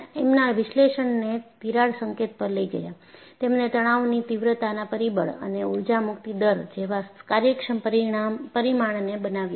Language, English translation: Gujarati, By moving the analysis to the crack tip, he devised workable parameters like stress intensity factor and energy release rate